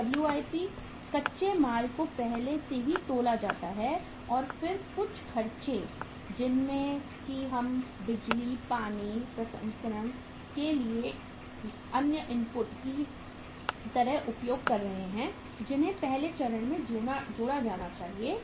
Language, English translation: Hindi, Then the WIP, raw material is already weighted and then some expenses which we are utilizing like power, water, other inputs for processing that to the first stage then those expenses should be added